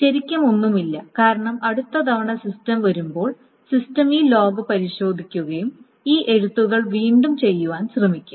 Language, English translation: Malayalam, Nothing really, because the next time the system comes up, the system will check this log and will attempt these rights again